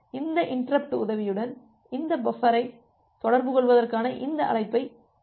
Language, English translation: Tamil, So, with the help of this interrupt, we can make this receive call to interact with this buffer